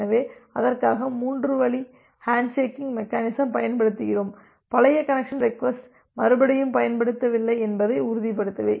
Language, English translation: Tamil, So, for that we use a three way handshake mechanism, to ensure that the connection request is not a repetition of the old connection request